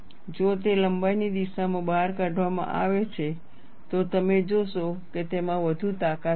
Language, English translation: Gujarati, If it is extruded along the length direction, you will find it will have more strength